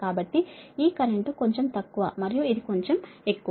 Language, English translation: Telugu, so this current is slightly less right and this is so